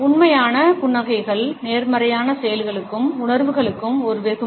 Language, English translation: Tamil, Genuine smiles are a reward for positive actions and feelings